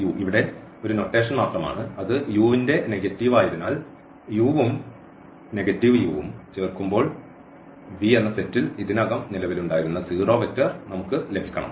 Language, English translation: Malayalam, So, this is just a notation here minus u the negative of u such that when we add this u and this negative of u we must get the zero vector which already exists there in the set